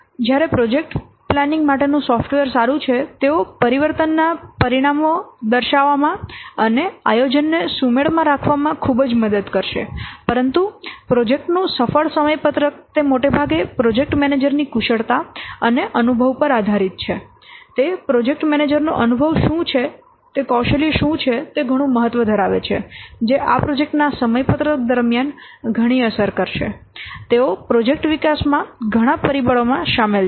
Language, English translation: Gujarati, So, so while some the good project planning software they will assist greatly in demonstrating the consequences of changes and keeping the planning synchronized, the successful project scheduling is totally dependent, is largely dependent on the skill and experience of the project manager in juggling the many factors involved in the project development